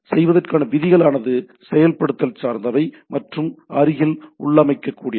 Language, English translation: Tamil, The rules for doing are implementation dependent and locally configurable